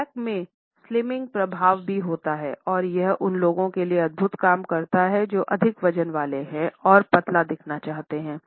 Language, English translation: Hindi, Black also has slimming effects and it works wonders for people who are overweight and need to look slimmer for a spoke